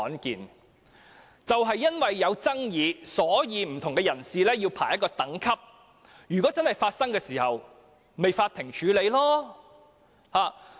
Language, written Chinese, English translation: Cantonese, 正正因為有爭議，所以便要為不同人士排列等級，如果真的發生問題，便交由法院處理。, It is exactly because there are disputes that we need to arrange the order of priority for different persons . Should a problem really arise it will be referred to the Court